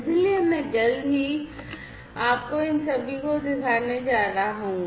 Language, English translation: Hindi, So, I am going to show you all of these in action, shortly